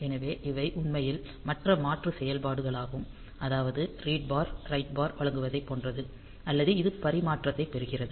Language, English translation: Tamil, So, these are actually the other alternate functions that we have like providing read bar write bar etcetera or this transmit receive